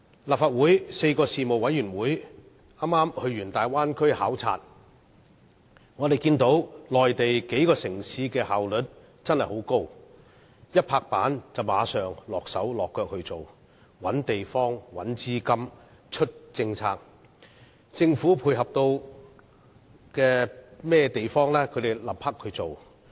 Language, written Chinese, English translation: Cantonese, 立法會的4個事務委員會剛完成前往大灣區的考察，我們看到內地數個城市的效率很高，事情一拍板便馬上動工，包括找地方、找資金和推出政策，而政府可以配合的也會馬上做。, Four panels of the Legislative Council have just completed a duty visit to the Bay Area . We can see the high efficiency of a number of cities in the Mainland . They will take actions immediately after a decision is made which include identifying locations seeking finance and introducing policies and the Governments will act promptly to offer support